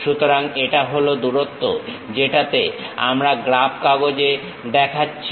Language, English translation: Bengali, So, this is the length; what we are showing it on the graph sheet